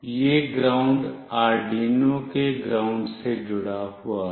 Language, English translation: Hindi, This ground is connected to the ground of Arduino